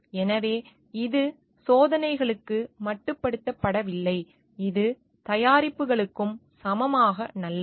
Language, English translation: Tamil, So, this not only is restricted to experiments, it holds equally good for products also